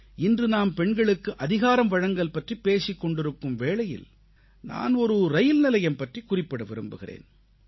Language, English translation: Tamil, Today, as we speak of women empowerment, I would like to refer to a railway station